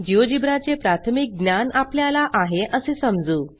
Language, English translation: Marathi, We assume that you have the basic working knowledge of Geogebra